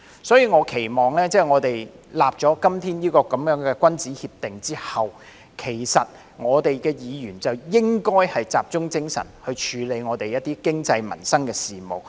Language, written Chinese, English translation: Cantonese, 所以，我期望在今天訂立這樣的君子協定後，議員便應集中精神處理香港的經濟和民生事務。, Therefore I hope that after this gentlemans agreement is made today Members will focus their efforts on handling economic and livelihood issues of Hong Kong